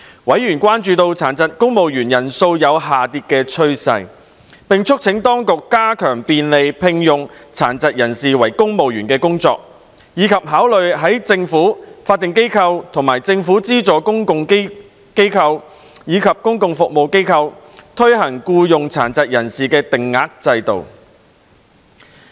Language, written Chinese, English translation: Cantonese, 委員關注到殘疾公務員人數有下跌趨勢，並促請當局加強便利聘用殘疾人士為公務員的工作，以及考慮在政府、法定機構、政府資助公共機構和公共服務機構，推行僱用殘疾人士定額制度。, Panel members expressed concern about the diminishing number of PWDs employed in the civil service and called on the Administration to put an extra effort in facilitating the employment of PWDs in the civil service and consider setting an employment quota system for PWDs in the Government statutory bodies government - funded public bodies and public service organizations